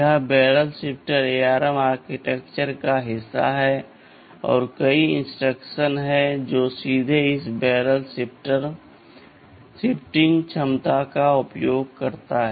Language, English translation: Hindi, TSo, this barrel shifter is part of the ARM architecture and there are many instructions which directly utilize this barrel shifting capability